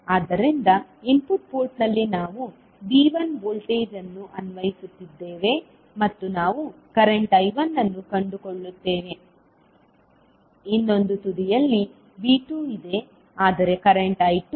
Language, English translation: Kannada, So, in the input port we are applying V1 voltage and we will find out the current I1, while at the other end V2 is there but current I2 is 0